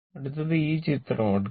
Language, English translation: Malayalam, So, next, this one you take